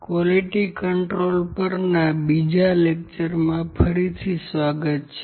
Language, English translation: Gujarati, Welcome back to the second part of lecture on the Quality Control